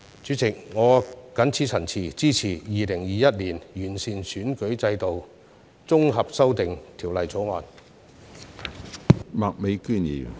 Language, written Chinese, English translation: Cantonese, 主席，我發言支持《2021年完善選舉制度條例草案》恢復二讀。, President I speak in support of the resumption of the Second Reading debate on the Improving Electoral System Bill 2021 the Bill